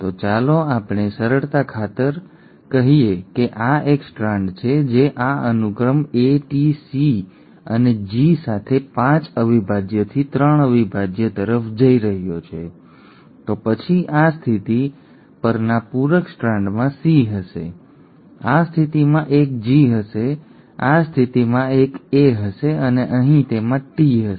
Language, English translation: Gujarati, So let us, for simplicity sake, let us say this is one strand which is going 5 prime to 3 prime with this sequence, A, T, C and G, then the complementary strand at this position will have a C, at this position will have a G, at this position will have an A and here it will have a T